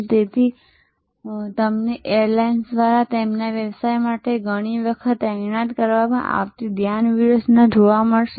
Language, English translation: Gujarati, So, therefore, you will find a focus strategy often being deployed by airlines for their business class passengers